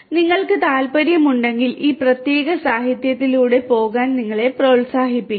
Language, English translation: Malayalam, In case you are interested you are encouraged to go through this particular literature